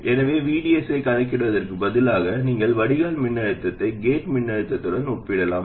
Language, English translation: Tamil, So instead of even computing VDS you can just compare the drain voltage with the gate voltage